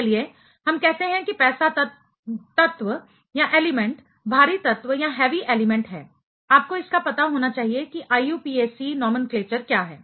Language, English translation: Hindi, Let us say money is an element heavy element, what should be its you know IUPAC nomenclature